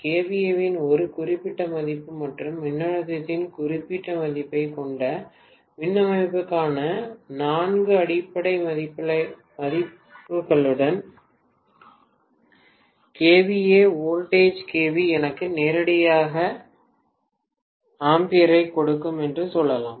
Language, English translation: Tamil, So I have basically four base values for the system, so if I have a system with a particular value of kVA defined as its base and particular value of voltage define as its base, I can say kVA divided by whatever is the voltage in kilovolts will give me ampere directly